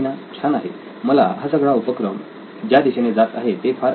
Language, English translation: Marathi, Very nice, I liked the direction that this is going